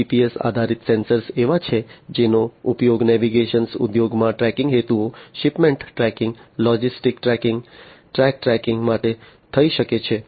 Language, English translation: Gujarati, GPS based sensors are the ones that can be used in the navigation industry for tracking purposes, tracking of shipments, tracking of logistics, tracking of trucks, and so on